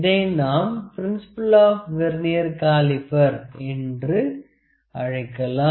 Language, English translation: Tamil, So, I will first explain the Vernier principle, the principle of the Vernier caliper